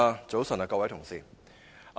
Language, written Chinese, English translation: Cantonese, 早晨，各位同事。, Good morning Members